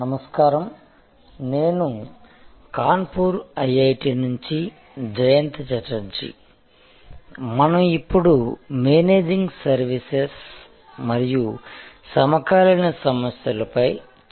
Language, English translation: Telugu, Hello, this is Jayanta Chatterjee from IIT, Kanpur and we are discussing Managing Services contemporary issues